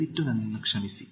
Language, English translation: Kannada, Please excuse me